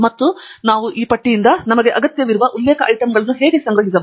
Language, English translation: Kannada, and how do we then collect the reference items that we need from this list